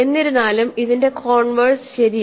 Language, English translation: Malayalam, However, the converse is true